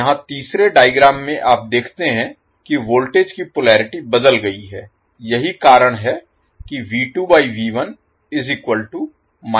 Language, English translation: Hindi, Now, in the 4th case, you will see the polarity for voltages change